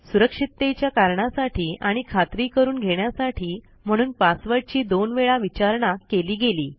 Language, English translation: Marathi, The password is asked twice for security reasons and for confirmation